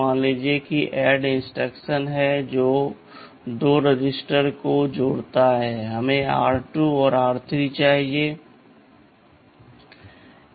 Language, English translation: Hindi, Ssuppose there is an add ADD instruction which adds 2 registers, let us say r 2 and r 3